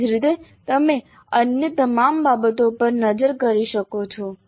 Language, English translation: Gujarati, Similarly you can look into all the other things